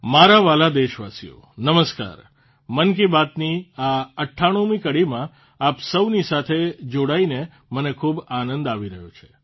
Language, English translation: Gujarati, I am feeling very happy to join you all in this 98th episode of 'Mann Ki Baat'